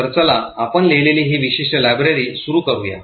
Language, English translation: Marathi, Let us start with this particular library that we have written